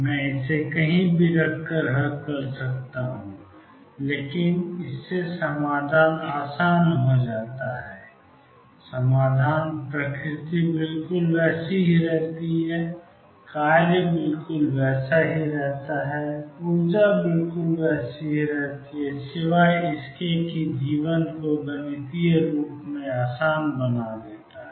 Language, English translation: Hindi, I can solve it keeping anywhere but this makes the solution easier; the solution nature remains exactly the same the functions remain exactly the same, energy is remain exactly the same except that makes life easy mathematically